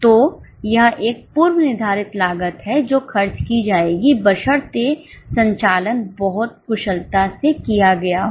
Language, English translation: Hindi, So, it is a predetermined cost which will be incurred provided the operations are made very efficiently